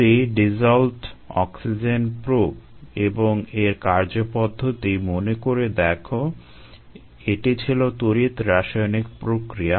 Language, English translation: Bengali, if you recall the dissolved oxygen probe, ah, it's working principle, it's an electro chemical principle